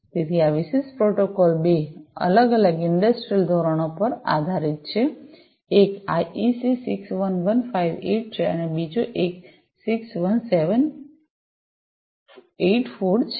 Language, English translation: Gujarati, So, this particular protocol is based on two different industrial standards; one is the IEC 61158 and the other one is 61784